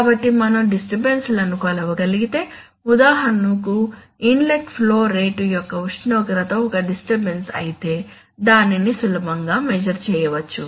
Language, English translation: Telugu, So if we can measure the disturbances then, for example, we have seen that if the inlet temperature, if the temperature of the inlet flow rate is a disturbance, then it can be easily measured